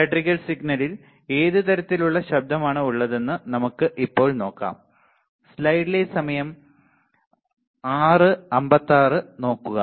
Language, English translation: Malayalam, Let us now see what are the kind of electrical signals, what are the kind of noise present in the electrical signal